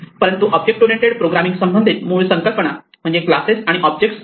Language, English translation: Marathi, In the terminology of object oriented programming there are two important concepts; Classes and Objects